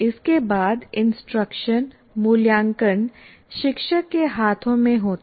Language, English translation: Hindi, But subsequently, instruction, assessment and evaluation are in the hands of the teacher